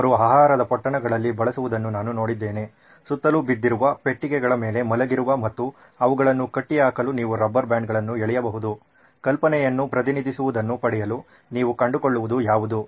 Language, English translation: Kannada, I have seen them use food wraps, boxes that are lying around just trinkets that are lying around and you can pull rubber bands for tying them altogether, whatever you can find just to get what the idea represent